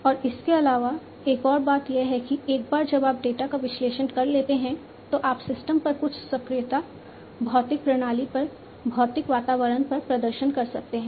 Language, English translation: Hindi, And also, there is one more point to it that once you have analyzed, the data you can perform certain actuation on the system, on the physical system, on the physical environment